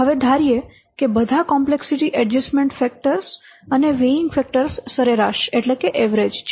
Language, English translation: Gujarati, So, now let's assume that all the complexity adjustment factors and weighting factors they are average